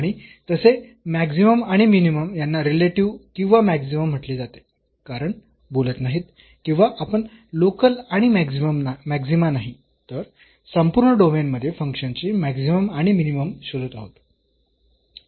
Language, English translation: Marathi, And such maximum or minimum is called relative or local maximum because we are not talking about or we are not searching the local and maxima, the maximum and the minimum of the function in the entire domain